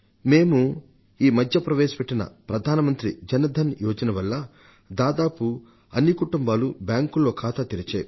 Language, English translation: Telugu, And this possibility is there because under the Pradhan Mantri Jan Dhan Yojana that we have started recently, nearly all the families in the country have had their bank accounts opened